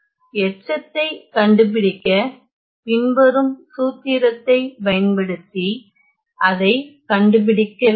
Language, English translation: Tamil, So, to find the residue I need to just find it using the following formula